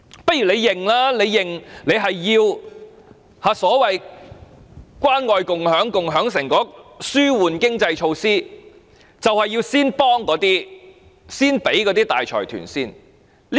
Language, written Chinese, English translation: Cantonese, 不如政府承認其關愛共享計劃、共享成果措施和紓緩經濟措施便是要先幫助大財團。, It might as well admit that its Caring and Sharing Scheme measures for sharing the fruits of success and economic relieve measures are primarily helping the conglomerates